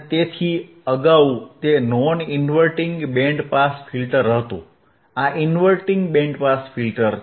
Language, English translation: Gujarati, So, earlier it was non inverting band pass filter, this is inverting band pass filter